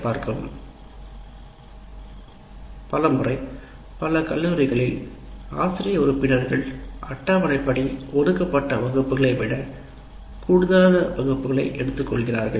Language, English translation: Tamil, Now there is another issue many times in many of the colleges faculty members take many many more class sessions than timetabled